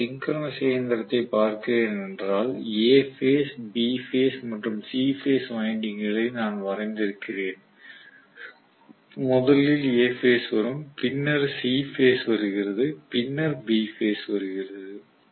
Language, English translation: Tamil, If I are looking at a synchronous machine, I have the A phase, B phase and the C phase windings what I had drawn is in such a way that first comes A phase, then comes C phase, then comes B phase that is the way I have drawn it